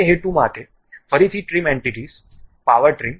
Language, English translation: Gujarati, For that purpose again trim entities, power trim